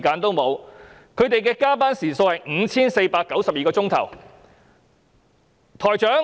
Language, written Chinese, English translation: Cantonese, 他們的加班時數是 5,492 小時。, Their number of overtime hours stood at 5 492